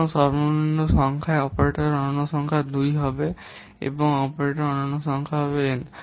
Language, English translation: Bengali, So, the minimum number of, sorry, the unique number of operators will be 2 and the unique number of operands will be n